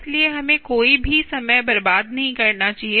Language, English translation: Hindi, so, ah, let us not waste any time